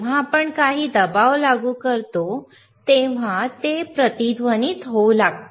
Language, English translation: Marathi, wWhen we apply some pressure, it will start resonating